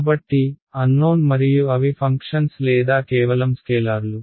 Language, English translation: Telugu, So, unknown and are they functions or just scalars